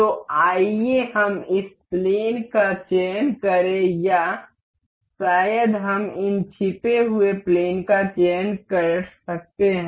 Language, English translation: Hindi, So, let us select this plane or maybe we can select from this hidden planes